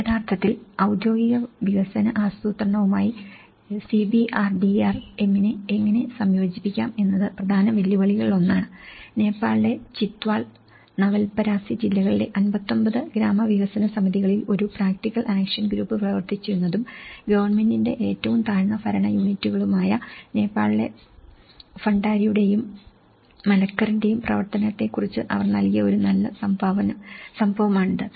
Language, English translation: Malayalam, In fact, the one of the important challenges how to integrate the CBRDRM with official development planning; this is a good case which they have given about Bhandari and Malakar work on Nepal, wherein the districts of Chitwal and Nawalparasi in Nepal, there is a practical action group was working in 59 village development committees and which are the lowest administrative units of government